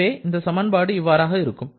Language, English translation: Tamil, So, these are the 4 equations that we have now